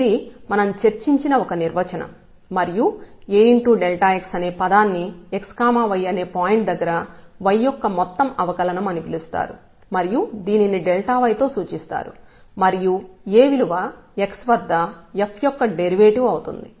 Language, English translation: Telugu, And this term A delta x is called the total differential of y at this point x y and is denoted by delta y and the value of A is nothing but it is the derivative of f at x